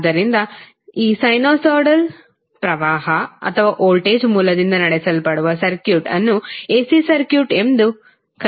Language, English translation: Kannada, So, the circuit driven by these sinusoidal current or the voltage source are called AC circuits